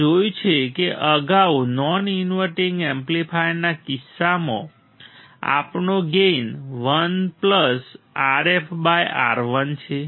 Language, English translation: Gujarati, We have seen that earlier in the case of non inverting amplifier our gain is 1 plus R f by R 1